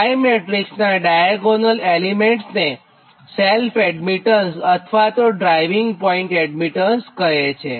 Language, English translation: Gujarati, so diagonal elements of y matrix actually is not known as self admittance or driving point admittance